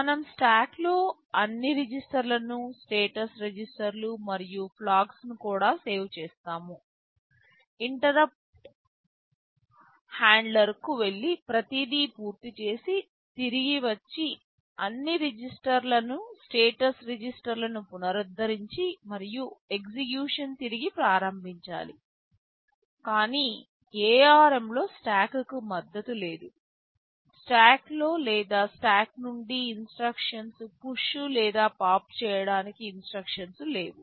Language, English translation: Telugu, We save all the registers in the stack that can include also the status registers and the flags, go to the interrupt handler, finish everything, come back, restore all registers and status register and resume execution, but in ARM there is no support for stack, there is no instruction to push or pop instructions in stack or from stack